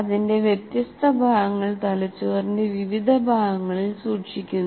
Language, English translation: Malayalam, Different bits of that are stored in different parts of the brain